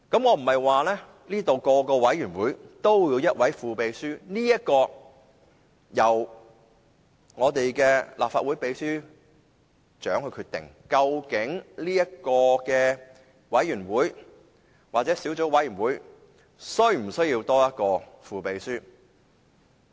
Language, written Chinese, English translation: Cantonese, 我不是說每個委員會也要有一位副秘書，這一點由立法會秘書長決定，究竟某委員會或小組委員會是否需要一名副秘書。, I am not saying that there should be a deputy clerk in each committee as it will be the responsibility of the Clerk to decide whether a deputy clerk will be needed in certain committees or subcommittees